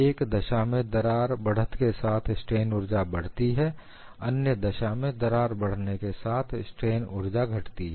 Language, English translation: Hindi, In one case, we found strain energy increased, in another case, strain energy decreased